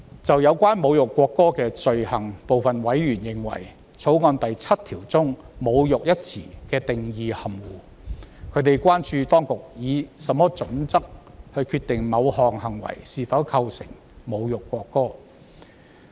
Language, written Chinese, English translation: Cantonese, 就有關侮辱國歌的罪行，部分委員認為，《條例草案》第7條中"侮辱"一詞的定義含糊，他們關注當局以何準則決定某作為是否構成侮辱國歌。, With regard to the offence of insulting the national anthem some members consider the definition of insult in clause 7 of the Bill vague . Some members have expressed concern about the criteria for deciding if an act constitutes an insult to the national anthem